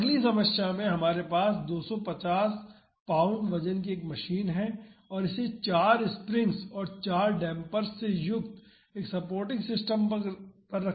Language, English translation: Hindi, So, in the next problem we have a machine weighing 250 pounds and is mounted on a supporting system consisting of four springs and four dampers